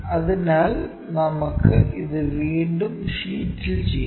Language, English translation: Malayalam, So, let us do it on the sheet once again